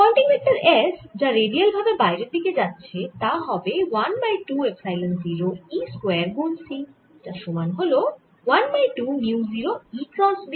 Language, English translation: Bengali, the pointing vector s, which is going to be radially out, is going to be equal to one half epsilon zero e square times c, which is the same as one over mu zero e cross b